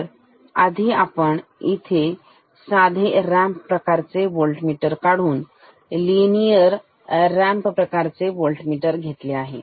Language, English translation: Marathi, So, let us first draw the normal ramp type voltmeter, linear ramp type voltmeter